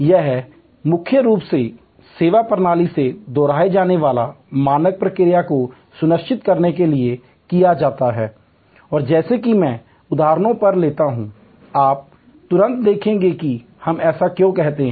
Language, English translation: Hindi, This is done mainly to ensure repeatable standard response from the service system and as I take on examples, you will immediately see why we say that